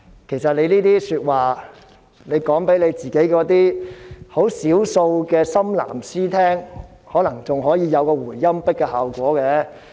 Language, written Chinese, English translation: Cantonese, 其實，他們把這些話說給少數的"深藍絲"聽，可能還會有一個回音壁的效果。, In fact their remarks may reverberate among a small fraction of hardcore government supporters